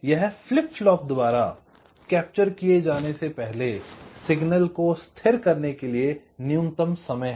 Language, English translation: Hindi, so what the setup time defined as is, it is the minimum time the signal needs to be stable before it can be captured by flip flop